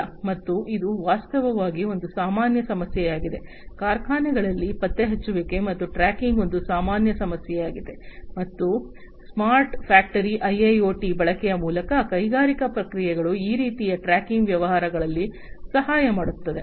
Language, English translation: Kannada, And this is a common problem actually, you know tracing and tracking is a common problem in factories, and through the use of smart factory IIoT for smart factory the industrial processes will help in this kind of tracking affairs